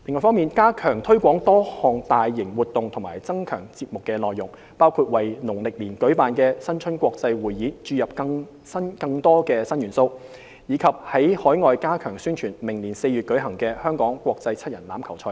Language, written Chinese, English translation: Cantonese, ―加強推廣多項大型活動或增強節目內容，包括為農曆年舉辦的新春國際匯演注入更多新元素，以及在海外加強宣傳明年4月舉行的香港國際七人欖球賽等。, - Strengthening the promotion or enhancing contents of various mega events such as injecting new elements into the International Chinese New Year Carnival to be held during Chinese Lunar New Year and stepping up overseas promotion of the Hong Kong Sevens scheduled for April 2020